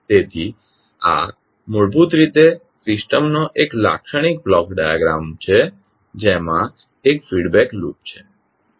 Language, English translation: Gujarati, So this is basically a typical the block diagram of the system having one feedback loop